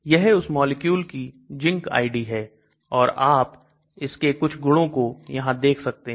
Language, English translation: Hindi, This is the zinc ID of that molecule and then some properties you can find here